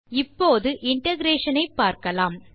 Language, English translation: Tamil, Now, let us look at integration